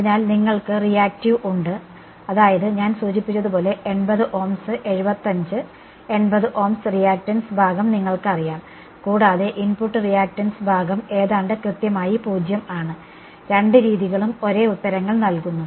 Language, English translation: Malayalam, So, you have reactive I mean the resistance part is about you know as I mentioned 80 Ohms 75 80 Ohms, and the input the reactance part is almost exactly 0 and both methods are giving the same answers